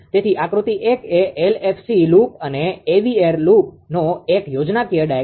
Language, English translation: Gujarati, So, figure one gives a schematic diagram of the LFC loop and AVR loop